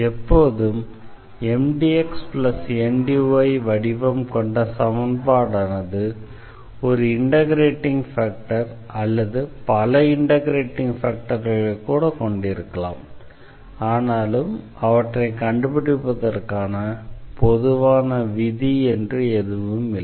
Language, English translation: Tamil, So, although an equation this of the form Mdx plus Ndy always has an integrating factor or factors there could be more factor integrating factors, but there is no a general rule for finding them or rather it is a little bit tedious job to find this integrating factor